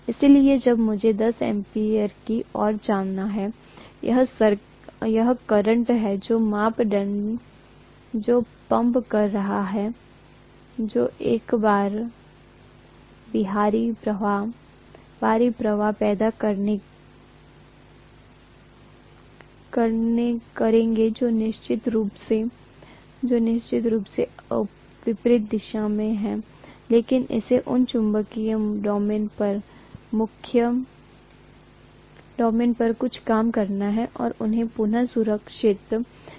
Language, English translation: Hindi, So when I have want to come to minus 10 ampere, now this current that I am pumping in, will create an extrinsic flux which is definitely in the opposite direction, but it has to do some work on these magnetic domains and realign them